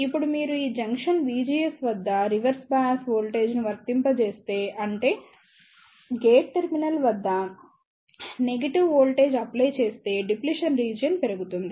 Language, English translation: Telugu, Now if you apply a reverse bias voltage at these junction V GS; that means, the negative voltage is applied at the gate terminal the depletion region will try to increase